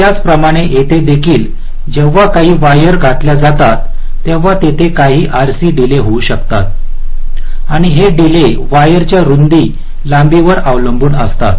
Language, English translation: Marathi, so similarly, here also, when some, some wires are laid out, there can be some rc delays and this delays will be dependent up on the width of the wires, of course, the lengths